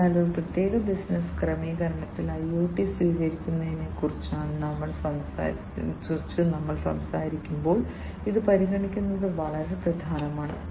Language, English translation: Malayalam, So, this is very important for consideration, when we are talking about the adoption of IoT in a particular business setting